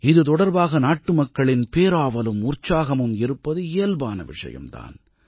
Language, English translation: Tamil, It is natural for our countrymen to be curious about it